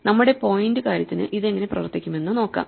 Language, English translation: Malayalam, Let us see how this would work for instance for our point thing